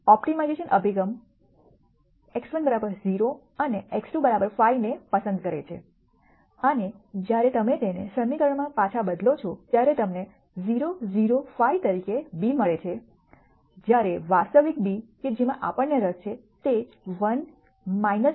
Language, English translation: Gujarati, 25 the optimization approach chooses x 1 equal to 0 and x 2 equal to 5 and when you substitute it back into the equation you get b as 0 0 5 whereas, the actual b that we are interested in is 1 minus 0